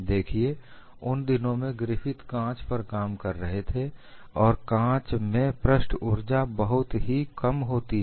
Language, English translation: Hindi, See, in those days Griffith was working on glass and surface energy in glass was very very small